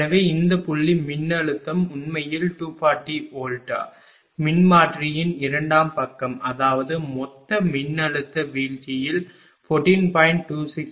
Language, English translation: Tamil, So, this point voltage actually 240 volt the secondary side of the transformer; that means, at the total voltage drop is 14